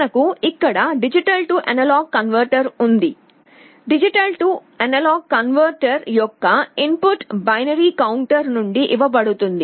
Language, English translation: Telugu, We have a D/A converter out here, the input of the D/A converter is fed from a binary counter